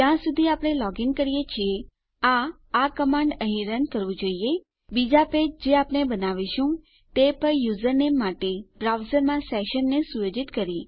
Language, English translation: Gujarati, As long as we are logged in, this should run this command here, setting our session in our browser to our username on any other page we create